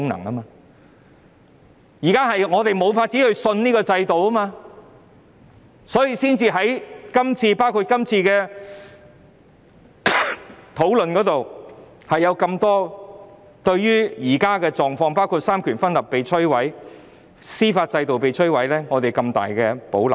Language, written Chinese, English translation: Cantonese, 我們現時無法相信這制度，所以才會在這次討論中對於現況，包括三權分立和司法制度被摧毀，表示極大保留。, Now we can no longer trust the system and this is the very reason why we have to express in the present discussion our huge reservations about the reality including the devastation of separation of powers and the judicial system